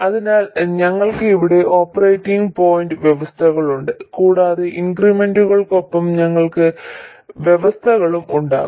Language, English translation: Malayalam, So, we have the operating point conditions here and we will have conditions with the increments